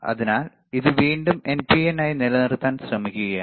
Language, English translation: Malayalam, So, again he is trying to keep it NPN